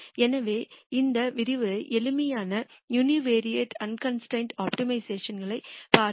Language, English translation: Tamil, So, in this lecture we looked at simple univariate unconstrained optimiza tion